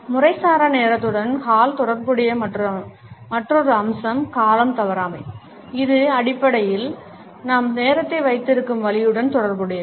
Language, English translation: Tamil, Another aspect which is associated by Hall with informal time is punctuality; which is basically our promptness associated with the way we keep time